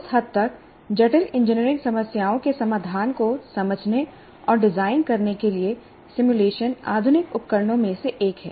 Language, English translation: Hindi, Now, to that extent, simulation constitutes one of the modern tools to understand and design solutions to complex engineering problems